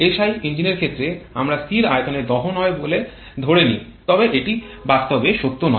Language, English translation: Bengali, Like in case of SI engines we assume the inter combustion to takes place at constant volume but that is not true in practice